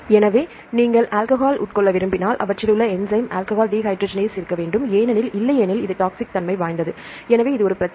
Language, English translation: Tamil, So, if you want to consume alcohol you should have this enzyme alcohol dehydrogenase; because otherwise, it is toxic alcohol is toxic so that is it is a problem